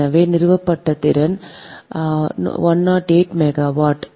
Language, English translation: Tamil, so installed capacity is hundred eight megawatt right